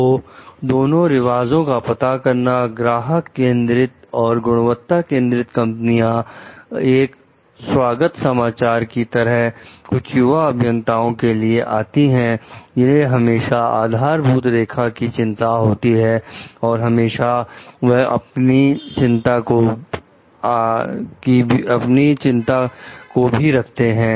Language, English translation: Hindi, So, the identification of both custom, customer oriented and quality oriented companies comes as welcome news to some young engineers, who fear that concern with the bottom line always dominates their concerns